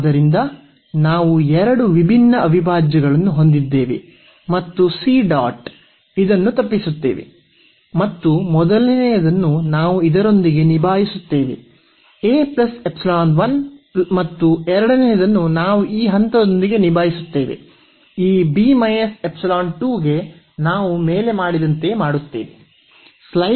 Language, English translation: Kannada, So, we will avoid we have two different integrals and c dot this 1 and the first one we will we will handle with this a plus epsilon and the second one we will handle with that point to this b minus epsilon similarly as we have done above